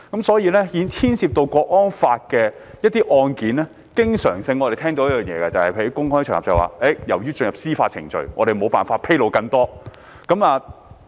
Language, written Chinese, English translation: Cantonese, 所以，關於涉及《香港國安法》的案件，我們經常會在公開場合聽到："由於案件已進入司法程序，我們沒有辦法披露更多"這句話。, Regarding cases involving the Hong Kong National Security Law we often heard on public occasions the remark of As judicial proceedings of the case has commenced we are not in a position to disclose any more information